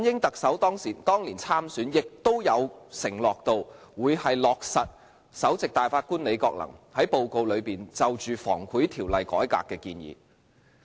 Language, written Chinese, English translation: Cantonese, 特首梁振英當年參選亦曾承諾，會落實前首席大法官李國能在報告內就《防止賄賂條例》改革的建議。, Chief Executive LEUNG Chun - ying also undertook during his election campaign back then that he would implement the recommendations proposed by the former Chief Justice Mr Andrew LI in the report concerning the reform of the Prevention of Bribery Ordinance